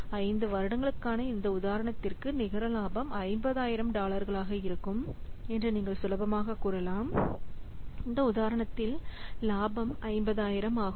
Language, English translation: Tamil, So, here you can see easily that the net profit for this example project for 5 years is coming to be $50,000